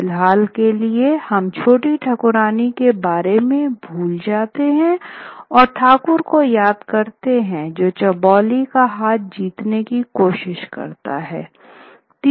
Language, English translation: Hindi, But anyway, for the moment we forget about Choti Tarkran and it is the it is the Thakur who tries to first go and win the hands of Chobili